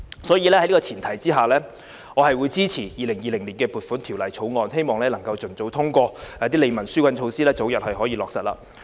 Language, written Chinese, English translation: Cantonese, 所以，在這個前提之下，我支持《2020年撥款條例草案》，希望能夠盡早通過，使利民紓困的措施可以早日落實。, This I think also speaks the mind of many business operators in the catering industry . So for these reasons I support the Appropriation Bill 2020 . I hope that the Bill can be passed as soon as possible to enable the relief measures to take effect early